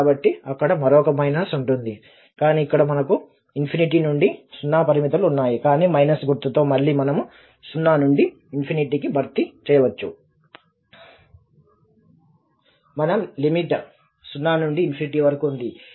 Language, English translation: Telugu, So, there will be another minus there but then here we have the limits are now infinity to 0 but with this minus we can replace again 0 to infinity